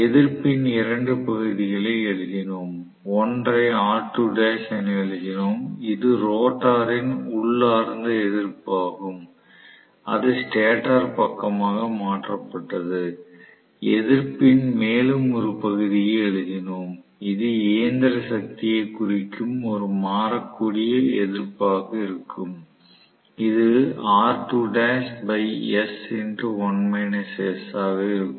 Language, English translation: Tamil, And we wrote 2 portions of the resistance, one we wrote as R2 dash which is the inherent resistance of the rotor transformed into the stator side and we wrote one more portion of the resistance which represents the mechanical power which we showed as a variable resistance, which is R2 dash by s multiplied by 1 minus s right